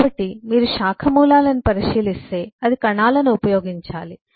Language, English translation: Telugu, so if you look at branch roots, it has to use cells